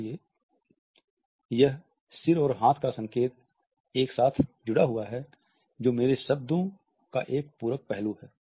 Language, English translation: Hindi, So, this head and hand signal associated together suggest a complimentary aspect of my words